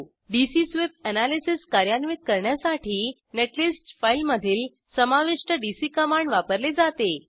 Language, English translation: Marathi, dc command included in the netlist file is used to perform dc sweep analysis